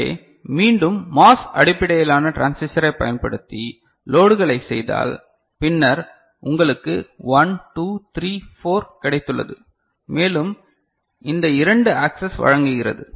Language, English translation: Tamil, So, if these are again you know loads are made using MOS based transistor ok, then you have got 1 2 3 4 and this 2 providing access